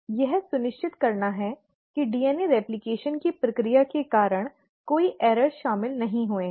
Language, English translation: Hindi, It has to make sure that there has been no errors incorporated due to the process of DNA replication